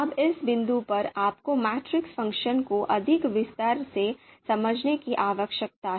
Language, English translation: Hindi, Now at this point you need to understand the the matrix function in more detail